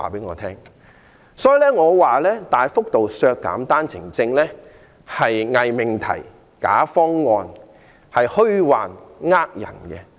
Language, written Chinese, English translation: Cantonese, 我認為大幅度削減單程證是偽命題、假方案，是騙人的虛論。, I consider the significant reduction of OWP quota a false proposition a bogus proposal and a deceptive and specious argument